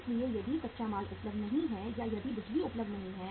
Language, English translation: Hindi, So if the raw material is not available or if the power is not available